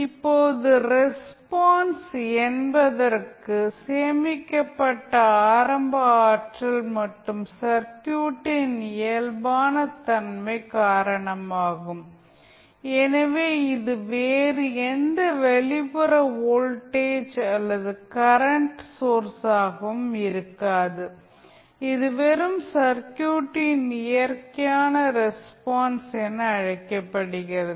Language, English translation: Tamil, Now, since, the response is due to the initial energy stored and physical characteristic of the circuit so, this will not be due to any other external voltage or currents source this is simply, termed as natural response of the circuit